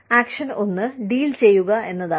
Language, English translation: Malayalam, Action one is, doing the deal